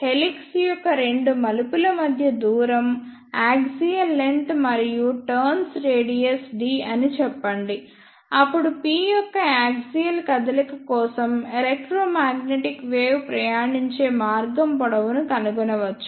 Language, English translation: Telugu, Let us say the distance between two turns of the helix is p that is axial length and the diameter of the turns is d, then we can find the path length traveled by the electromagnetic wave for a axial movement of p